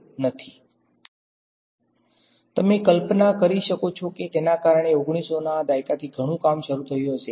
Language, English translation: Gujarati, So, you can imagine that that would have led to a lot of work starting from the 1900s